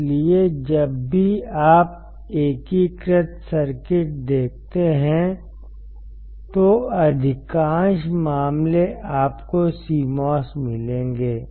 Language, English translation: Hindi, So, whenever you see an indicator circuits, most of the cases you will find CMOS